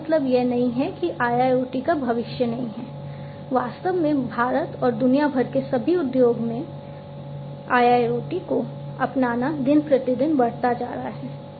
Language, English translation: Hindi, In fact, the adoption of IIoT is increasing day by day continuously in all industries in India and throughout the world